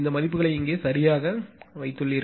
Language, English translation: Tamil, You put these values here right